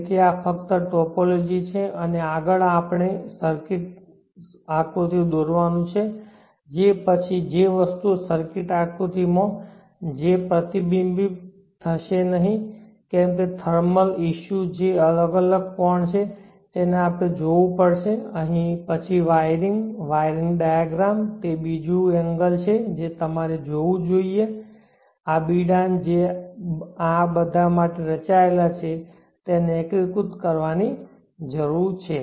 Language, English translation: Gujarati, So like that you see that there are various components so this is only a topology and next we have to draw the circuits schematic then after that thinks that will not get reflected in the circuit schematic like the thermal issues that is an separate angle that we have to look at then the wiring, wiring diagram that is the another angle that you have to look at the enclosures the enclosure that is designed